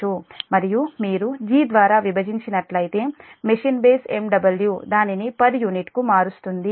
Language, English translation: Telugu, and if you divide by g, the machine base megawatt will convert it to per unit